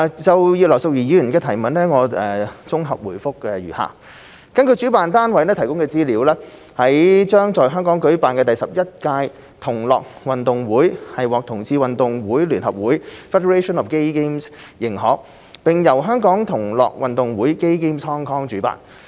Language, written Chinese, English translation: Cantonese, 就葉劉淑儀議員的質詢，我現綜合答覆如下﹕根據主辦單位提供的資料，將在香港舉辦的第十一屆同樂運動會獲同志運動會聯合會認可，並由香港同樂運動會主辦。, My consolidated reply to the questions raised by Mrs Regina IP is as follows According to the information provided by the organizer the 11 Gay Games GG2022 to be held in Hong Kong has been recognized by the Federation of Gay Games and will be hosted by the Gay Games Hong Kong